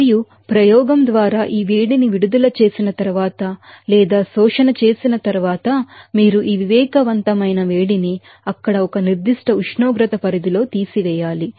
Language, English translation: Telugu, And after getting these heat released or absorption by experiment, you have to subtract this sensible heat within a certain range of temperature there